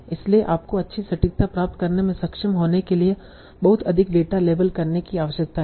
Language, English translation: Hindi, So you need to label a lot of data to be able to get good accuracy